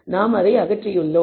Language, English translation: Tamil, We have done that